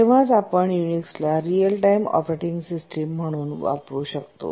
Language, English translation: Marathi, Let's look at using Unix as a real time operating system